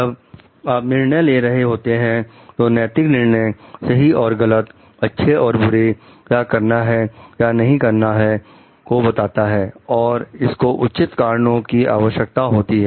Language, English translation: Hindi, So, ethical judgments, when you are talking of judgments, it is about right and wrong good or bad what ought to be done and not to be done and it requires support of reasons justified reasons